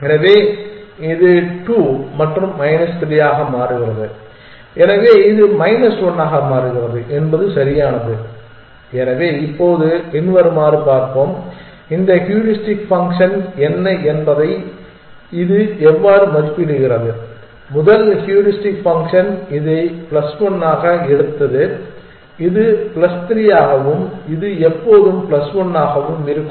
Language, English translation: Tamil, So, this becomes 2 and minus 3 for this, so it becomes minus 1 is that correct, so now, let us follows and look at what this heuristic function is how is it evaluating the situation, the first heuristic function took this as plus 1 and this as plus 3 and this always plus 1